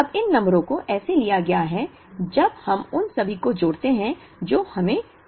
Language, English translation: Hindi, Now, these numbers have been taken such that, when we add all of them we get 10,000